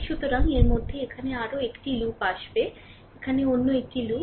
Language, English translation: Bengali, So, within that there will be another loop here, another loop here, it is called loop, right